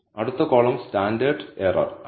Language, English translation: Malayalam, The next column is standard error